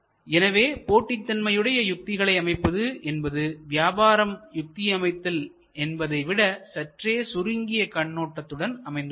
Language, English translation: Tamil, So, competitive strategy therefore, is a bit narrower in scope compare to the overall business strategy